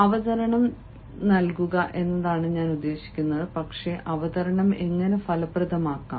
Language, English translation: Malayalam, i mean the delivery of presentation, but how to make a presentation effective